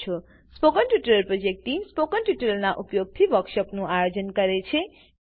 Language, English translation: Gujarati, The Spoken Tutorial project team conduct workshops using Spoken Tutorials